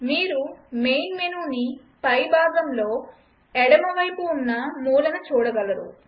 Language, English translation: Telugu, You can see the main menu on the top left hand side corner